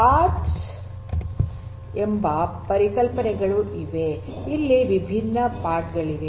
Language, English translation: Kannada, So, there are concepts of something known as pods so, there are different pods